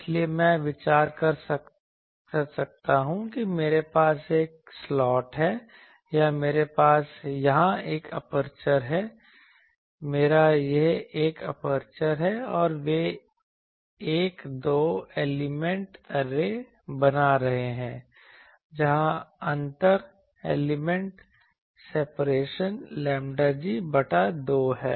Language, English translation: Hindi, So, I can consider that I have a slot here I or I have an aperture here, I have an aperture here and they are forming a two element array where the inter element separation is lambda g by 2